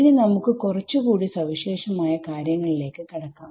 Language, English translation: Malayalam, So, now, we need to get a little bit particular